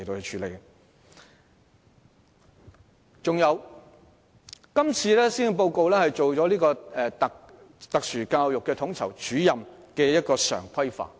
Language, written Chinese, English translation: Cantonese, 此外，今次的施政報告亦提出將特殊教育統籌主任常規化。, Moreover this Policy Address has proposed to regularize the services of Special Education Needs SEN Coordinators